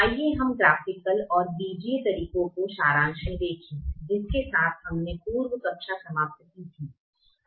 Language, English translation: Hindi, let us look at the summary of the graphical and the algebraic methods with which we ended the previous class